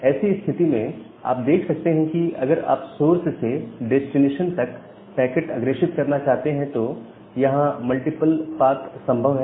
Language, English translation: Hindi, And in that case you can see that if you want to forward the packet from this source to this destination, there are multiple paths which are possible